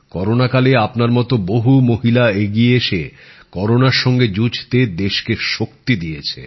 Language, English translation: Bengali, During corona times many women like you have come forward to give strength to the country to fight corona